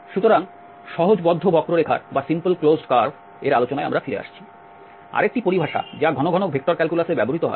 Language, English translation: Bengali, So, coming to the simple closed curve, another terminology which frequently used in vector calculus